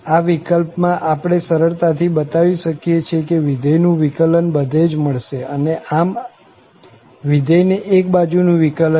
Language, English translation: Gujarati, In that case, we can easily show that the derivative of the function exist everywhere and thus the function has one sided derivatives